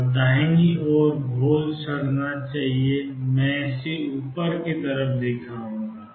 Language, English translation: Hindi, And on the right hand side the solution should decay let me show it on the over side